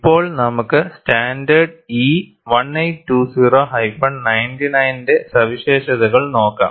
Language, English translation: Malayalam, Now, we move on to features of standard E 1820 99